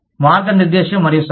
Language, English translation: Telugu, Guide and advise